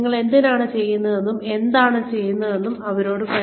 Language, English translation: Malayalam, Tell them, why you are doing, what you are doing